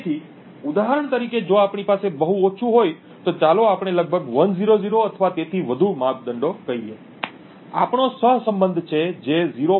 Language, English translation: Gujarati, So, for example if we have very less let us say around 100 or so measurements, we have a correlation which is less than 0